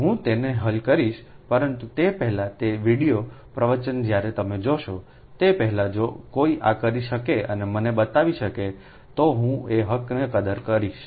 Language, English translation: Gujarati, but before that, before those video lecture, when you will see, before that, if anybody can do it and can show this to me, then i will appreciate that, right